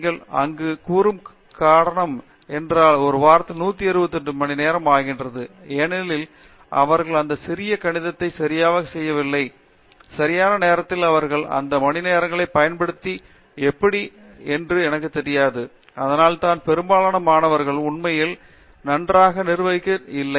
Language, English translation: Tamil, If the moment you say like there is 168 hours in a week because somebody they don’t even know that because they have not done that little arithmetic, right and they don’t know that, how to use those hours and this is something that I find most students are not really cut out managing very well